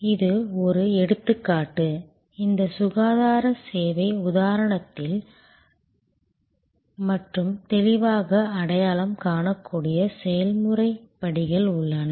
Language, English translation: Tamil, This is an example, where in this health care service example, there are process steps which can be replicated and which are clearly identifiable